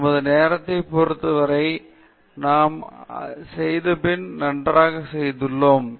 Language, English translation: Tamil, So, we have done perfectly well with respect to our time